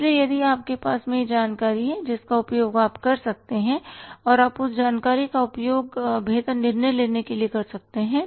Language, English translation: Hindi, So, if you have the information you can make use of that and you can use that information for the improved decision making